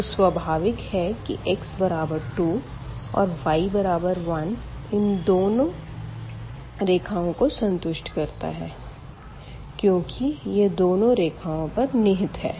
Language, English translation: Hindi, So, naturally this point where x is 2 and y is 1 it satisfies both the equation; it must satisfy both the equations because, it lies on both lines and what else we see here